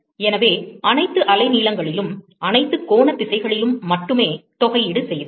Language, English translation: Tamil, So, we only integrated over all the wavelength, all the angular directions